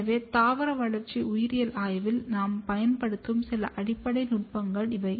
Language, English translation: Tamil, So, these are the few basic techniques that we use in the study of plant developmental biology